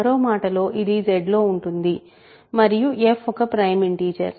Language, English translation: Telugu, In other words, it is in Z and f is a prime integer, right